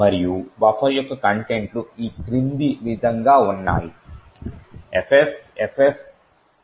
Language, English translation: Telugu, And, the contents of buffer is as follows, FFFFCF08